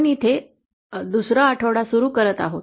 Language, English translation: Marathi, We are here, we are starting with week 2